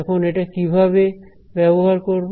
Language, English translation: Bengali, Now, how will be use it